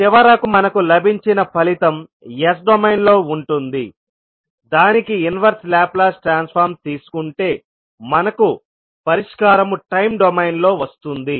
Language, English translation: Telugu, And then finally what result we get that is not as s domain will take the inverse laplace transform to find the solution in time domain